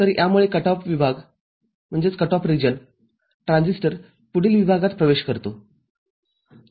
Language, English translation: Marathi, So, this from cut off region transistor enters into next region